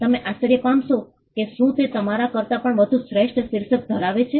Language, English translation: Gujarati, You may wonder whether he has a better title than you